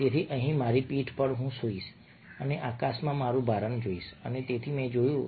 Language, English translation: Gujarati, so here upon my back, i will lie and look my fill into the sky